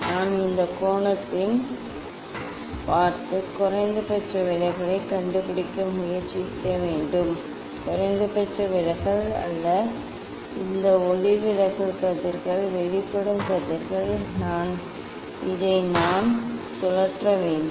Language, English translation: Tamil, I have to look in this angle and try to find out the minimum deviation, not minimum deviation this refracted rays emergent rays I have to I rotate this